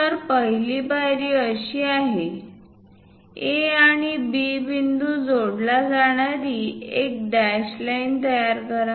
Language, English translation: Marathi, So, first step construct a dashed line joining A and B points